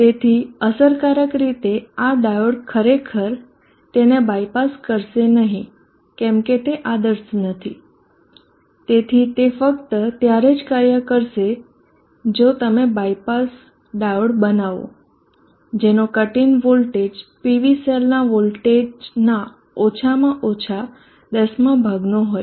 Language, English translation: Gujarati, So effectively this diode wills not actually the bypass it if it is not ideal, so it will work only if you make a dio the bypass diode which is having a cutting voltage at least 110th that of the cutting voltage of PV cell, that would make this diode more costly then the PV cell itself